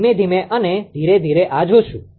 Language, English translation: Gujarati, slowly and slowly will see this